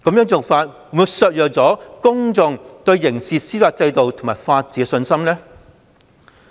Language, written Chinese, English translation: Cantonese, 這做法會否削弱公眾對刑事司法制度及法治的信心呢？, Will its handling shatter peoples confidence in the criminal justice system and also the rule of law?